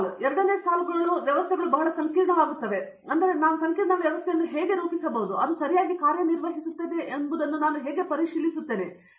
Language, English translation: Kannada, Then the second line is that the systems are becoming very complex, so how do I model a complex system and then how do I verify it is working correctly